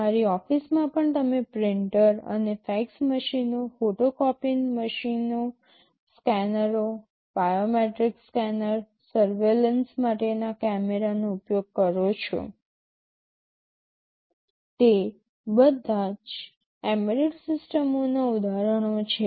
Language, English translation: Gujarati, Even in your office you use printers and fax machines, photocopying machines, scanners, biometric scanner, cameras for surveillance, they are all examples of embedded systems